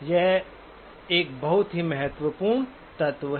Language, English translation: Hindi, So that is the very important element